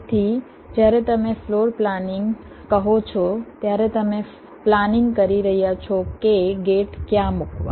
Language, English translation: Gujarati, so when you say floor planning, you are planning where to place the gates